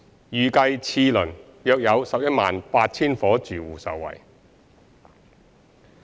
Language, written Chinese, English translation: Cantonese, 預計次輪約有 118,000 伙住戶受惠。, It is expected that around 118 000 households would benefit under the second round